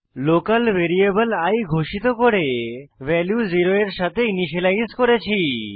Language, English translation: Bengali, We had declared a local variable i and initialized it to 0